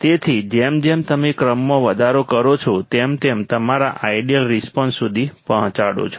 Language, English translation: Gujarati, So, as you increase the order you reach your ideal response correct